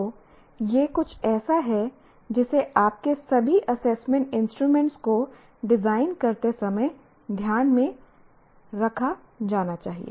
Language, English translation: Hindi, So, this is something that should be kept in mind while designing all your assessment instruments